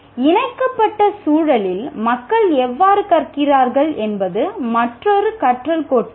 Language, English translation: Tamil, So, another learning theory is how do people learn in such a connected environment